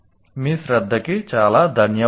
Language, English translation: Telugu, Thank you very much for your attention